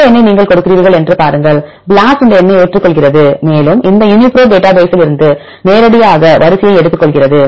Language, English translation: Tamil, See if you give this number BLAST accepts this number, and takes the sequence directly from this Uniprot database right everything is mapped